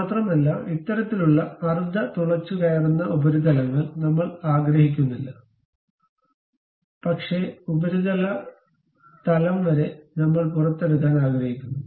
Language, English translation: Malayalam, And we do not want this kind of semi penetrating kind of surfaces; but up to the surface level I would like to have extrude